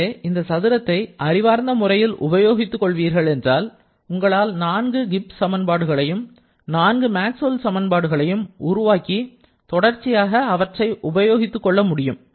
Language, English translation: Tamil, So, if you make judicial use of this square, you can easily recover each of the 4 Gibbs equations and the 4 Maxwell's equations and subsequently can make use of that